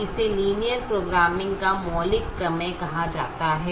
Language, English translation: Hindi, so this is called the fundamental theorem of linear program